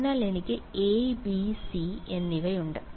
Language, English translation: Malayalam, So, I have a, b and c ok